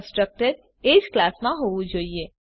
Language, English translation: Gujarati, The constructors must be in the same class